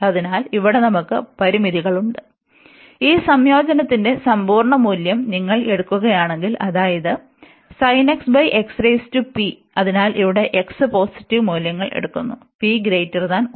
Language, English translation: Malayalam, So, here we have the inte; if you take the absolute value of this integrant that means, the sin x and x power p, so here x taking positive values, and p is greater than 1